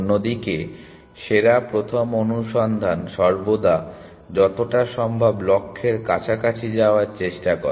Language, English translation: Bengali, Best first search on the other hand always tries to go as close to the goal as possible essentially